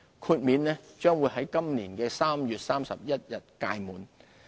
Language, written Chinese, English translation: Cantonese, 豁免將於今年3月31日屆滿。, The waiver arrangement will expire on 31 March this year